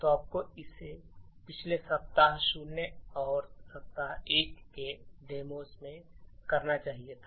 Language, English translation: Hindi, So, you should have done it with the previous demos in the week 0 and week 1